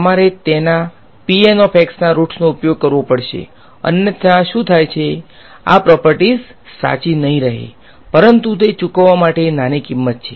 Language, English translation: Gujarati, You have to use the roots of p N otherwise what happens this property does not hold true ok, but that is a small price to pay